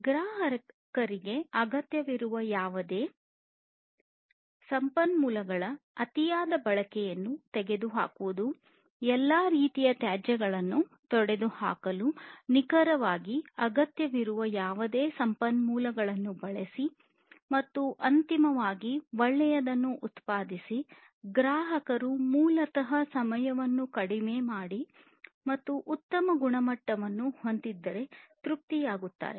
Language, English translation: Kannada, Whatever the customer needs targeting that, eliminating the over usage of different resources, use whatever resources are precisely required eliminate all kinds of wastes, and finally produce a good which the customer basically would be satisfied with more in reduce time and having higher quality